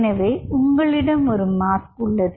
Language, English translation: Tamil, so you have a mask